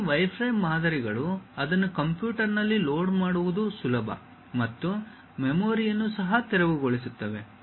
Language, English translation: Kannada, These wireframe models are easy to load it on computer and clear the memory also